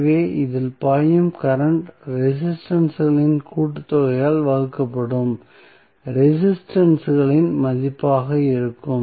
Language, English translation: Tamil, So, the current flowing in this would be the value of resistances divided by the sum of the resistances